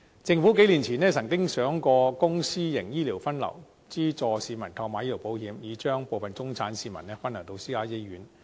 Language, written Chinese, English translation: Cantonese, 政府數年前曾想過公私營醫療分流，資助市民購買醫療保險，以將部分中產市民分流到私家醫院。, A couple of years ago the Government came up with the idea of streaming public and private healthcare services and subsidizing members of the public to take out medical insurance with a view to diverting some middle - class people to private hospitals